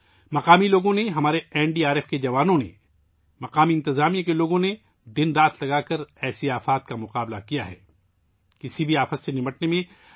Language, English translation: Urdu, The local people, our NDRF jawans, those from the local administration have worked day and night to combat such calamities